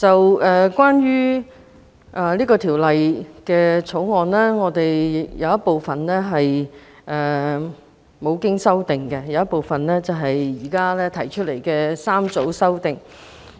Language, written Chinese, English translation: Cantonese, 主席，關於《2018年歧視法例條例草案》，有一部分無經修正，另一部分則有政府提出的3組修正案。, Chairman the discussion of the Discrimination Legislation Bill 2018 the Bill can be divided into two parts the part with no amendment and the part with three groups of amendments from the Government